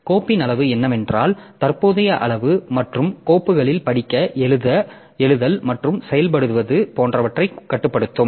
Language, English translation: Tamil, Then the size of the file what is that is the current size and the protection so it will control like who can do reading writing and executing the execution on the files